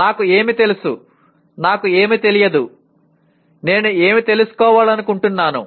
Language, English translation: Telugu, What I know, what I do not know, what I want to know